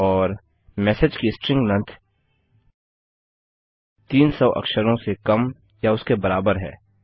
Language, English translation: Hindi, And the string length of message is lesser or equal to 300 characters